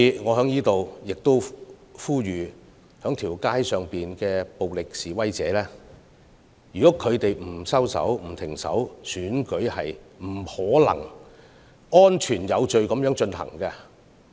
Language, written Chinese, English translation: Cantonese, 我在此呼籲，如果在街道上的暴力示威者不收手，選舉是不可能安全有序地進行的。, I would like to make an appeal here . If violent protesters refuse to stop what they are doing on the streets the safe and orderly conduct of the election will become an impossibility